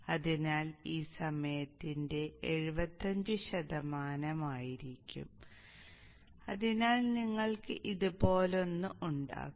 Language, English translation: Malayalam, So this would be 75% of the time and therefore you will have something like this